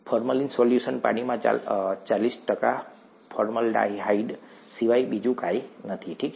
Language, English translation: Gujarati, Formalin solution is nothing but forty percent formaldehyde in water, okay